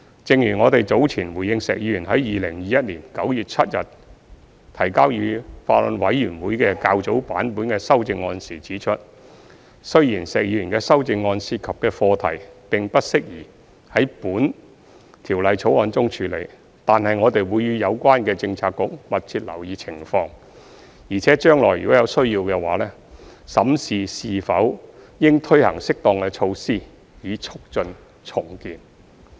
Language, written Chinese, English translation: Cantonese, 正如我們早前回應石議員於2021年9月7日提交予法案委員會的較早版本的修正案時指出，雖然石議員的修正案涉及的課題並不適宜在《條例草案》中處理，但我們會與有關政策局密切留意情況，並且將來如有需要的話，審視是否應推行適當的措施以促進重建。, As we pointed out in our earlier response to the earlier version of Mr SHEKs amendments submitted to the Bills Committee on 7 September 2021 although the issues raised in Mr SHEKs amendments are not suitable to be addressed in the Bill we will keep a close watch on the situation with the relevant bureaux and if necessary in the future examine whether appropriate measures should be implemented to facilitate redevelopment